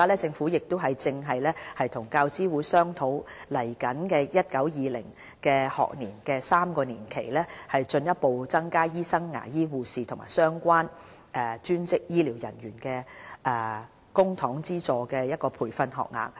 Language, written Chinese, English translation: Cantonese, 政府現正與教資會商討於接下來 2019-2020 學年開始的3年期，進一步增加醫生、牙醫、護士和相關專職醫療人員的公帑資助培訓學額。, It is discussing with UGC to further increase the publicly - funded training places for doctors dentists nurses and relevant allied health professionals in the next triennium from 2019 - 2020